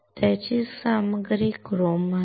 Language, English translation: Marathi, Its material is chrome